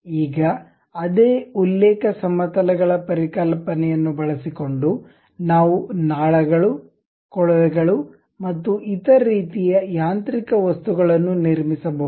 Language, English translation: Kannada, Now, using the same reference planes concept; we will be in a position to construct tubes, pipes and other kind of mechanical objects